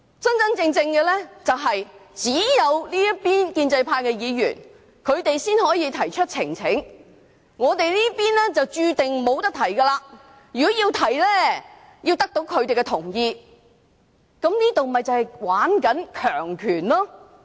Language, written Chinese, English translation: Cantonese, 真實的情況是，只有建制派議員才能夠提交呈請書，我們這邊注定無法提交，如果要提交，必須得到他們的同意，這便是在玩弄權力。, The truth is that only pro - establishment Members can present a petition and the democrats are doomed to failure . If we have to present a petition we must get their consent . That is manipulation of power